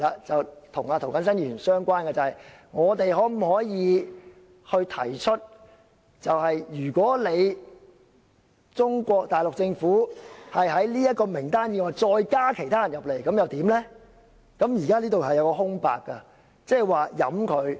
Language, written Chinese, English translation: Cantonese, 這與涂謹申議員相關，就是我們可否向中國大陸政府提出在這份名單以外加入其他人員；如可以，那應該怎樣提出？, This has something to do with Mr James TO . Can we propose to the Mainland Government of China including personnel other than those on the list? . If we can how do we go about doing it?